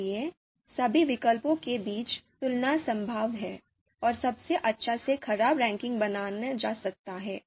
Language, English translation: Hindi, So therefore that comparison among all the alternatives is possible, and therefore best to worst ranking can be created